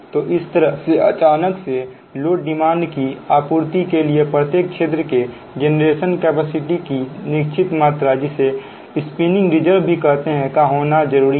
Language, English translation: Hindi, right now, to meet sudden increase in load, a certain amount of generating capacity in each area, known as the spinning reserve, is required